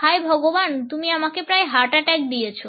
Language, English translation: Bengali, Oh my god you almost gave me a heart attack